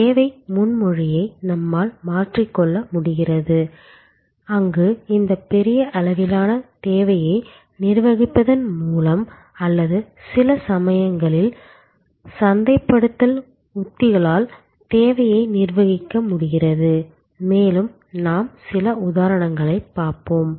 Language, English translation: Tamil, We are able to transform the service proposition itself and there by manage this huge level of demand or in a some cases, we are able to manage the demand itself with marketing strategies, also we will look few examples